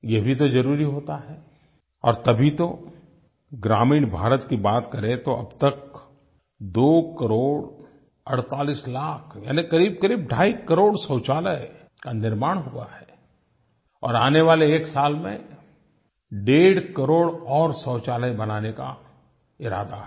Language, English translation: Hindi, If we talk of rural India, so far 2 crore 48 lakh or say about two and a half crore toilets have been constructed and we intend to build another one and a half crore toilets in the coming one year